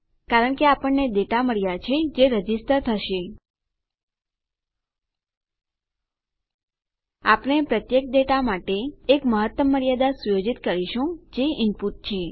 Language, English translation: Gujarati, Because we have got our data going to our registration, we are going to set a maximum limit for each data that is input